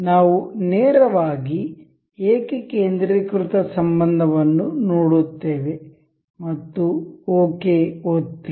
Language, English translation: Kannada, And we will directly see concentric relation and click ok